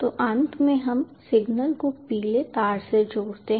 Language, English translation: Hindi, yes, so finally we attach the signal, the yellow wire